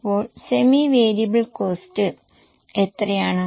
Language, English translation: Malayalam, Then semi variable cost, how much it is